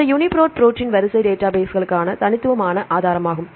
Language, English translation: Tamil, This UniProt is the unique resource for protein sequence databases